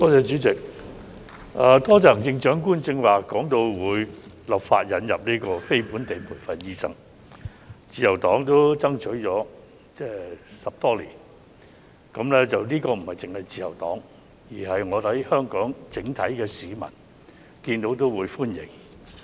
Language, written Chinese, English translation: Cantonese, 主席，多謝行政長官剛才提到會立法引入非本地培訓醫生，自由黨爭取了10多年，這不單是自由黨的訴求，我相信香港整體市民也會歡迎。, President I would like to thank the Chief Executive for saying just now that legislation will be enacted to introduce non - locally trained doctors . The Liberal Party has been striving for this for more than a decade . This is not only the demand of the Liberal Party